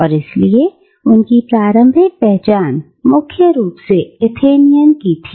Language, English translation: Hindi, And therefore, his identity was primarily that of an Athenian